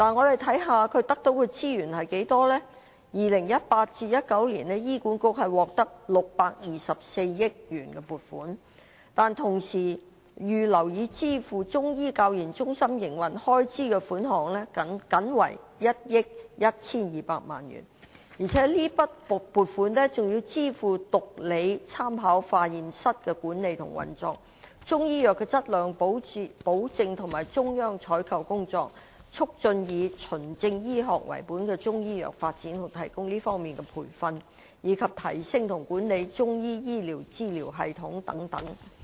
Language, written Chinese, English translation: Cantonese, 2018-2019 年度，醫管局獲得624億元撥款，但是，同期預留以支付中醫教研中心營運開支的款項僅為1億 1,200 萬元，而且這筆撥款更要支付毒理學參考化驗室的管理和運作、中醫藥的質量保證和中央採購工作、促進以"循證醫學"為本的中醫藥發展和提供這方面的培訓，以及提升和管理中醫醫療資訊系統等。, In 2018 - 2019 HA can obtain 62.4 billion . But during the same period only 112 million is earmarked for the operation of CMCTRs and that sum of money will also be used for the maintenance of the Toxicology Reference Laboratory quality assurance and central procurement of Chinese medicine herbs development and provision of training in evidence - based Chinese medicine and enhancement and maintenance of the Chinese Medicine Information System